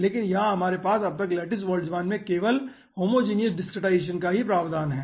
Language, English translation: Hindi, but here in lattice boltzmann, aah, till now, we are having provision for homogeneous discretization only